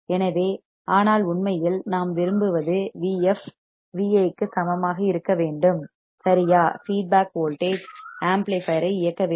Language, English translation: Tamil, So, the, but in reality, what we want V f should be equal to V i right feedback voltage should drive the amplifier